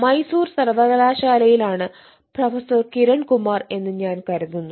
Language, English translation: Malayalam, eh, professor kiran kumar from mysore university, i suppose